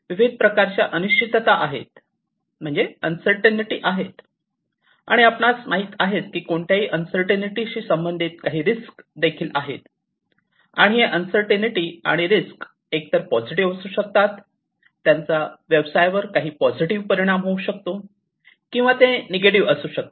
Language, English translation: Marathi, So, uncertainty of different types, but any uncertainty as we know also has some associated risks, and this uncertainty and the risks can have either these can be either positive, they can have some positive impact on the business or it can be negative